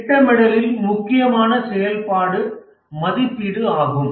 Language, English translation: Tamil, In the planning, the important activity is estimating